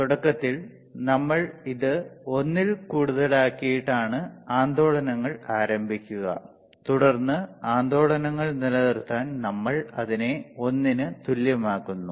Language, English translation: Malayalam, iInitially we keep it greater than 1 to start the oscillations and then we make it equal to 1 to sustain the oscillations right